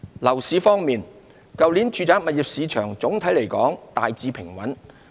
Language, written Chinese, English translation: Cantonese, 樓市方面，去年住宅物業市場總體來說大致平穩。, As for the property market the residential property market was generally stable last year